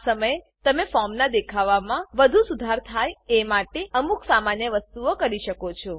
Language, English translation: Gujarati, At this point, you can do some simple things to improve the appearance of the form